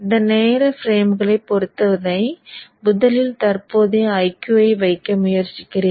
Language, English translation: Tamil, So with respect to these time frames let me now first try to put the current IQ